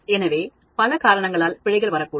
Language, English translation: Tamil, So, errors can come because of so many reasons